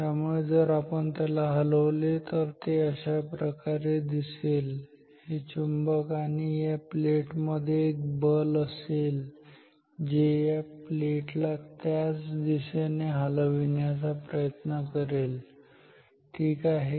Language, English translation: Marathi, So, if we move it what we will see is that, there is a force between this magnet and this plate which will also try to move the plate in the same direction ok